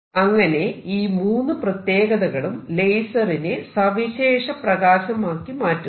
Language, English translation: Malayalam, And all these three properties make it a very special light